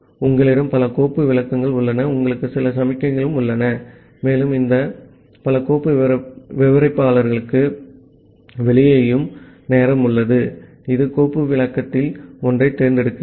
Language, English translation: Tamil, So, what happens that you have multiple file descriptors, you have certain signals and the time out and out of this multiple file descriptor, it selects one of the file descriptor